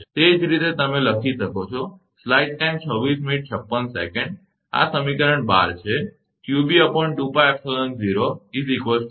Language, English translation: Gujarati, So, this is actually equation 15